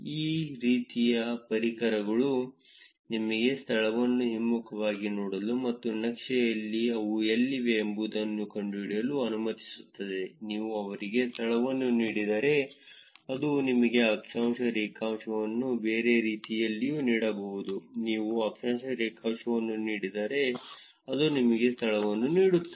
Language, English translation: Kannada, These kind of tools lets you actually reverse look up a place and find out where they are in the map; if you give them location, it can actually give you the latitude, longitude even the other way round, you give the latitude longitude it will give you the location